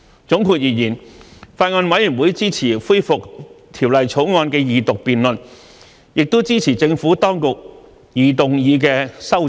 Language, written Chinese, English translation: Cantonese, 總括而言，法案委員會支持恢復《條例草案》的二讀辯論，也支持政府當局擬動議的修正案。, To conclude the Bills Committee supports the resumption of the Second Reading of the Bill and the amendments which the Administration intends to move